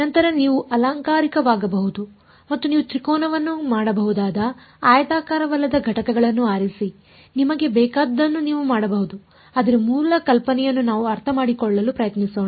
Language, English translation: Kannada, Later on you can go become fancy and choose non rectangular units you can make triangles you can make whatever you want, but the basic idea let us try to understand